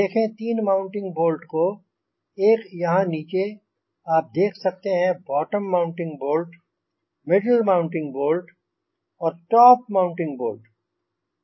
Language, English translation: Hindi, you can see the three mounting bolts here: one at the bottom you can see the mount bottom mounting bolt, the middle mounting bolt and the top mounting bolt